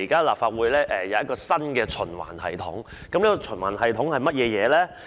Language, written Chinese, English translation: Cantonese, 立法會現在有新的循環系統，這循環系統是甚麼？, The Legislative Council has a new cycle now . What is this cycle?